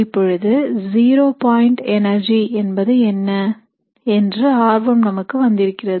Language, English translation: Tamil, So now, we are interested in what is called as the zero point energy